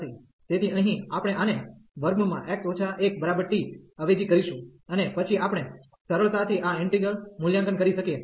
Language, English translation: Gujarati, So, here we will substitute this square root x minus 1 to t, and then we can easily evaluate this integral